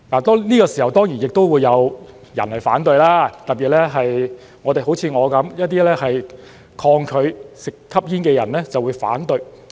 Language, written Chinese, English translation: Cantonese, 這時候，當然亦會有人反對，特別是像我般一些抗拒吸煙的人就會反對。, At this moment many people will surely disapprove of this especially people like me who resist smoking